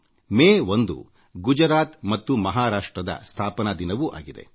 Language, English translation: Kannada, 1st May is the foundation day of the states of Gujarat and Maharashtra